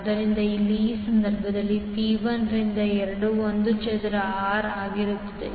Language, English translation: Kannada, So here in this case, P will be 1 by to 2 I square R